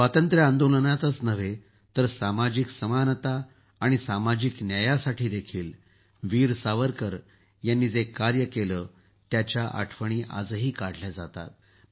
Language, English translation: Marathi, Not only the freedom movement, whatever Veer Savarkar did for social equality and social justice is remembered even today